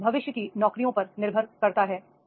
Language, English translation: Hindi, It depends on the future jobs